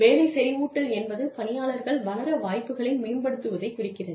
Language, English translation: Tamil, Job enrichment deals with, enhancing opportunities within the job, for the employee, to grow